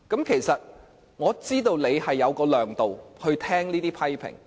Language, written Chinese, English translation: Cantonese, 其實我知道你有這種量度，可以聆聽這些批評。, Actually I know you can accept these criticisms with your breadth of mind